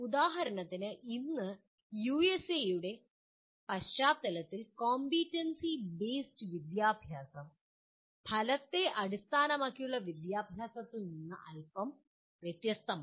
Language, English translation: Malayalam, For example today Competency Based Education has come to be slightly different from Outcome Based Education in the context of USA